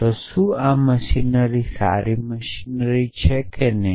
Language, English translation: Gujarati, So, is this machinery, good machinery or not